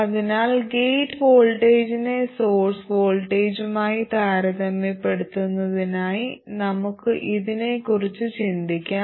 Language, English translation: Malayalam, So don't just look at the gate voltage and assume that it is the gate source voltage